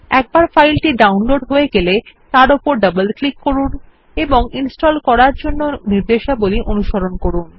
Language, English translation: Bengali, Once the file is downloaded, double click on it and follow the instructions to install